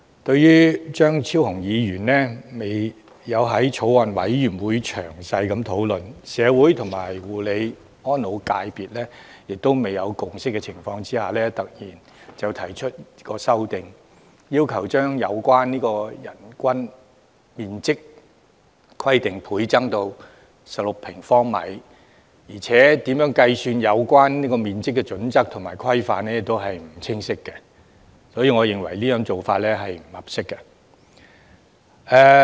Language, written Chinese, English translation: Cantonese, 對於張超雄議員在未經法案委員會詳細討論、而在社會與護理安老業界亦未有共識的情況下，突然提出修正案，要求將有關人均樓面面積規定倍增至16平方米，而且如何計算有關面積的準則和規範亦不清晰，所以我認為這種做法並不合適。, Dr Fernando CHEUNG has proposed an amendment requesting a substantial increase of the minimum area of floor space concerned to 16 sq mall of a sudden without prior discussions in detail by the Bills Committee nor a consensus in society and the nursing homes sector . In addition the criteria and parameters for the calculation of such area are unclear . Hence I find his approach most inappropriate